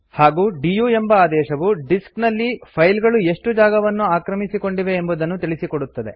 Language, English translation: Kannada, And the du command gives a report on how much space a file has occupied